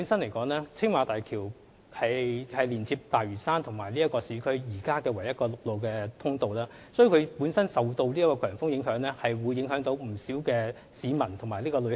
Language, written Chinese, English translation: Cantonese, 由於青馬大橋是現時連接大嶼山與市區的唯一陸路通道，所以每當它受強風影響便會影響不少市民及旅客。, As the Tsing Ma Bridge is now the only road link between Lantau Island and urban areas whenever it is under high winds lots of people and travellers will be affected